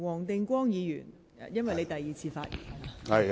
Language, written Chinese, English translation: Cantonese, 黃定光議員，這是你第二次發言。, Mr WONG Ting - kwong you are speaking for the second time